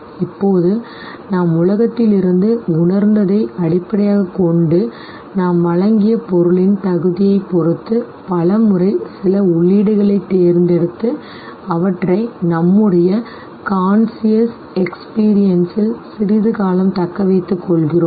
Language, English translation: Tamil, Now based on what we have sensed from the world and depending on the appropriateness of the meaning that we have provided, we many a times tend to select certain inputs and retain them in our conscious experience for a little longer period of time